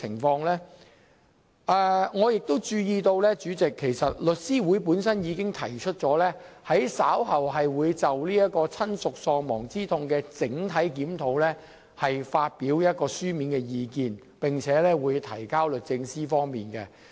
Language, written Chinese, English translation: Cantonese, 主席，我亦注意到，律師會已表示稍後將會就親屬喪亡之痛賠償款額的整體檢討發表書面意見，並提交律政司。, President I also noticed that The Law Society of Hong Kong has indicated that it would issue written comments on the overall review of the bereavement sum later which will be submitted to the Secretary of Justice